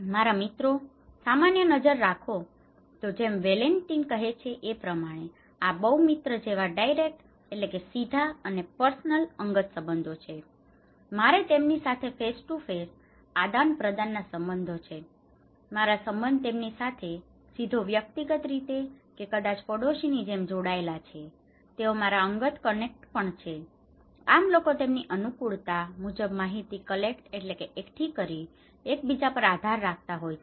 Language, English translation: Gujarati, My friends; here is a look generally, like Valentin is saying that it is the direct and the personal relationships like friends, I have face to face interaction with them, my relationship is direct personally connected or maybe like neighbours, they are also my personal connector, people depends on them for collecting informations, according to his finding